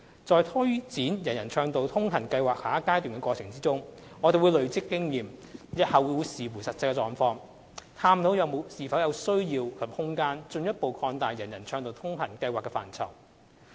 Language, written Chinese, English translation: Cantonese, 在推展"人人暢道通行"計劃下一階段的過程中，我們會累積經驗，日後視乎實際情況，探討是否有需要及空間進一步擴大"人人暢道通行"計劃的範疇。, In the course of delivering the Next Phase we will accumulate experience and depending on the actual circumstance in the future explore if there are any need and scope for further expanding the ambit of the UA Programme . Same as any other private properties all TPS estates regardless of the number of flats sold are governed by the Building Management Ordinance BMO Cap